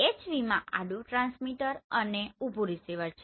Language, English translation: Gujarati, In HV it is horizontal transmit vertical receive